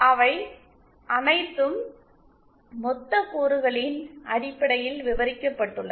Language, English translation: Tamil, They have all described in terms of lumped elements